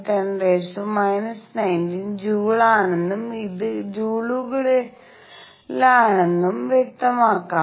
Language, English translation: Malayalam, 6 times 10 raise to minus 19 joules and this is in joules